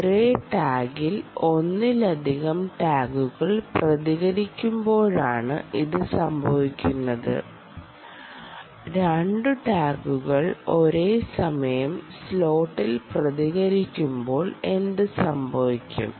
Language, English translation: Malayalam, this happens when multiple tags, multiple tags, multiple tags respond, respond in the same slot